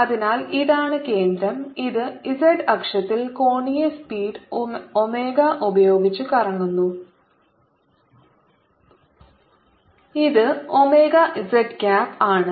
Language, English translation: Malayalam, and it is rotating about the z axis with angular speed omega, which is omega z cap